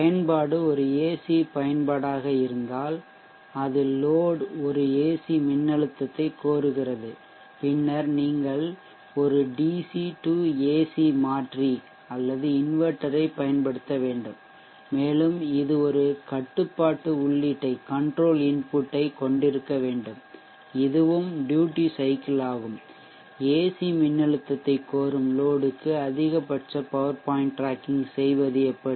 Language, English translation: Tamil, If the application is an AC application that is the load demands an AC voltage then you need to use a DC to AC converter or an inverter and that also needs to have a control input which is also duty cycle and we will see that also how we go about doing maximum power point tracking for a load that demands AC voltage